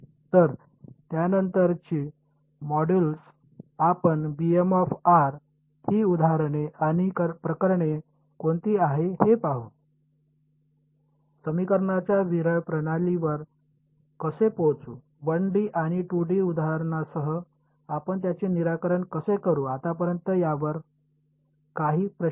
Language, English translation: Marathi, So, subsequent modules we will look at what are the examples and cases for this b b m of r, how will we arrive at a sparse system of equations, how do we solve it with 1 D and 2 D examples ok; any questions on this so far